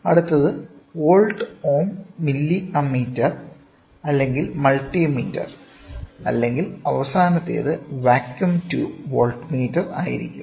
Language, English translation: Malayalam, Next will be volt ohm milli ammeter or multi meter or then the last one is going to be vacuum tube voltmeter